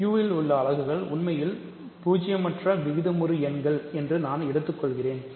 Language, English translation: Tamil, I claim units in Q are actually all non zero rational numbers